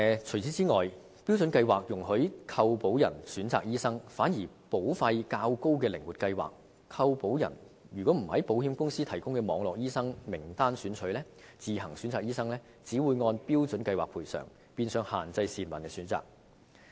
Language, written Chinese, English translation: Cantonese, 此外，標準計劃容許購保人選擇醫生，反而在保費較高的靈活計劃下，如果購保人不在保險公司提供的"網絡醫生"名單中選取醫生而自行選擇的話，便只會按標準計劃賠償，變相限制市民的選擇。, Moreover under a standard plan an insured can have a choice of doctors . On the contrary under a flexi plan with a higher premium if the insured does not choose from the lists of network doctors provided by the insurers but make his own choice compensation will be made on the basis of the benefits offered by a standard plan and this is de facto a restriction on the peoples choice